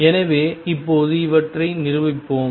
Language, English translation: Tamil, So, let us now prove these